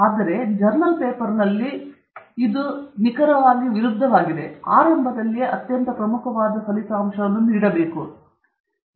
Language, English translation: Kannada, Here, in a journal paper, the exact opposite is true; right at the beginning you give the most important result away